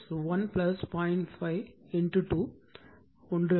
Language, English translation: Tamil, 5 this is also 1